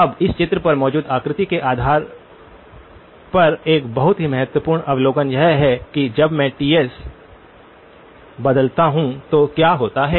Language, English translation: Hindi, Now, a very key observation based on the figure that is on this picture is that what happens when I vary Ts